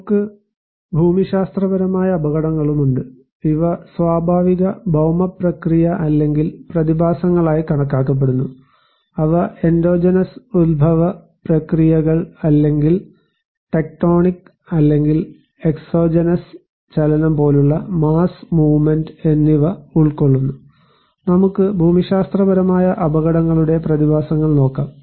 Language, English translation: Malayalam, We have also geological hazards, these are considered to be natural earth process or phenomena that include processes of endogenous origin or tectonic or exogenous origin such as mass movement, let us look at the phenomena of geological hazards